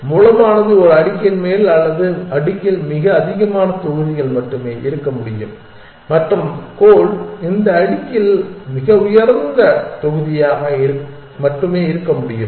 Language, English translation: Tamil, So, the source can be only the top of a stack or the top most blocks in the stack and the destination also can be only a top most block in this stack